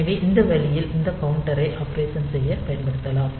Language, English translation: Tamil, So, this way this counters can be utilized for doing the operation